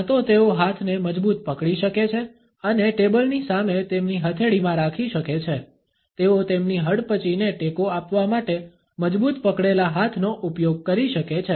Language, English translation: Gujarati, Either they can clench the hand and hold them in their palm in front of the table all they can use the clenched hands to support their chin